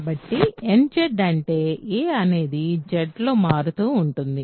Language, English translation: Telugu, So, nZ stands for an as a varies in Z